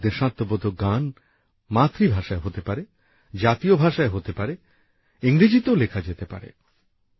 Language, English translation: Bengali, These patriotic songs can be in the mother tongue, can be in national language, and can be written in English too